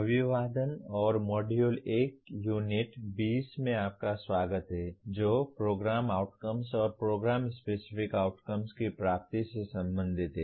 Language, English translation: Hindi, Greetings and welcome to the Module 1 Unit 20 which is related to attainment of Program Outcomes and Program Specific Outcomes